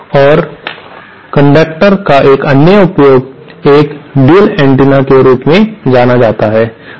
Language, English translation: Hindi, And one other use of circulator is what is known as a shared antenna